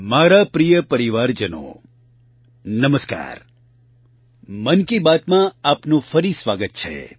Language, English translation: Gujarati, Welcome once again to Mann Ki Baat